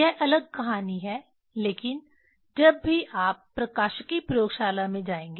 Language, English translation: Hindi, That is different story but whenever you will go to optics laboratory